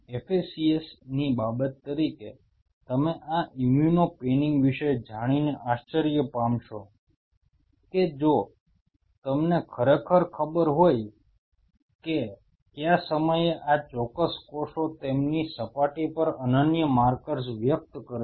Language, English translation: Gujarati, As a matter of FACS you will be surprised to know regarding this immuno panning if you really know at what point of time these specific cells express unique markers on their surface